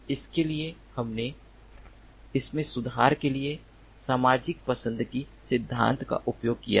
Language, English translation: Hindi, for that we have used the social choice theory for improving it